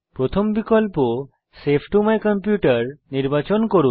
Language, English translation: Bengali, Choose the first option Save to my computer